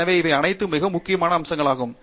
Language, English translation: Tamil, So, all of these are very important aspects of